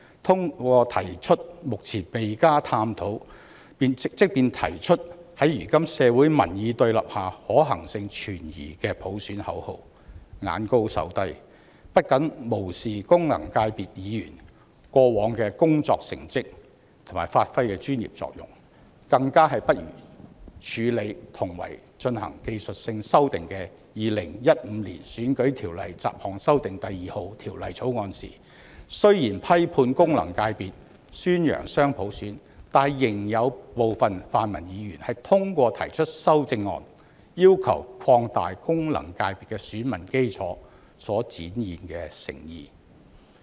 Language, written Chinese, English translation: Cantonese, 他們提出目前未加探討，在如今社會民意對立下，即使提出，可行性也存疑的普選口號，眼高手低，不僅無視功能界別議員過往的成績及發揮的專業作用，誠意更加不如處理同為進行技術性修訂的《2015年選舉法例條例草案》時，雖然批判功能界別，宣揚雙普選，但仍有部分泛民議員通過提出修正案，要求擴大功能界別的選民基礎所展現的誠意。, Not only do they ignore the past achievements and professional expertise of FC Members but they have also demonstrated inadequate sincerity when compared with how some other pan - democratic Members dealt with the Electoral Legislation No . 2 2015 which likewise made technical amendments . At that time while some pan - democratic Members criticized FCs and championed dual universal suffrage they also requested broadening the electorate of FCs by way of proposing amendments